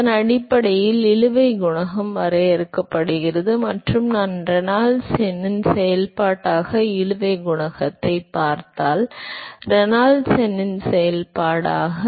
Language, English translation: Tamil, So, the based on that the drag coefficient is defined and if I look at the drag coefficient as a function of Reynolds number as a function of Reynolds number